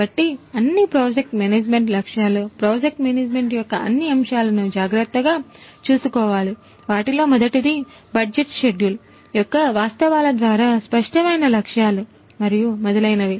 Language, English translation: Telugu, So, what all project management objectives, what all aspects of project management will have to be taken care of in terms of number one setting the objectives clear constraint by the facts of budget schedule and so on